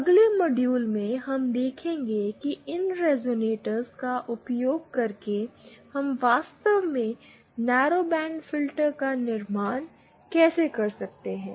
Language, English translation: Hindi, In the next module, we will see how using these resonators we can actually build the narrowband filters